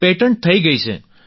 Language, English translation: Gujarati, It has been patented